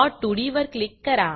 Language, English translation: Marathi, I will click on plot2d